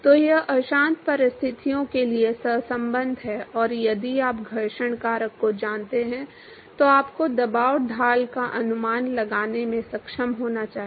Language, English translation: Hindi, So, that is the correlation for turbulent conditions and if you know the friction factor you should be able to estimate the pressure gradient